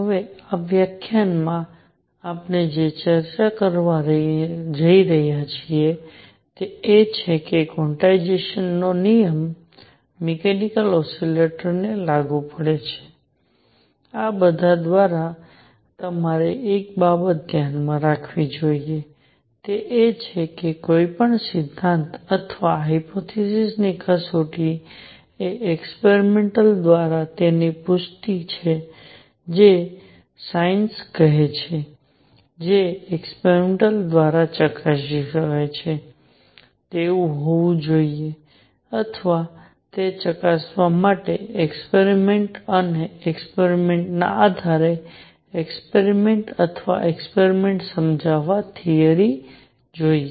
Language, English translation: Gujarati, Now, in this lecture, what we are going to discuss is that the quantization rule applies to mechanical oscillators, also one thing you must keep in mind through all this is that test of any theory or hypothesis is its confirmation by experiments that is what science says whatever I can propose should be verifiable by experiments or must explain an experiment and experiments based on the experiments or experiments to do that check that theory